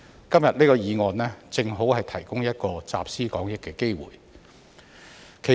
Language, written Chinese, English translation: Cantonese, 今天這項議案，正好提供一個集思廣益的機會。, This motion today provides an opportunity for us to put our heads together